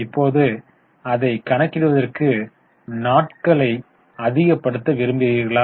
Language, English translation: Tamil, Now, would you like to convert it into number of days